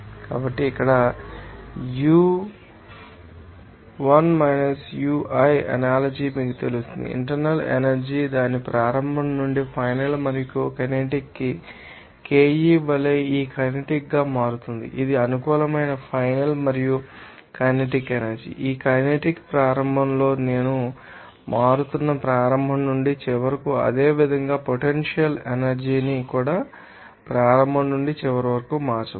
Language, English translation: Telugu, So, here Uf Ui, the analogy is you know that internal energy change from its initial to final and kinetic energy as KE this kinetic energy, this is a favorer final and kinetic energy that is i for initial to this kinetic energy will be changing from initial to the final similarly, potential energy also may be changed from initial to the final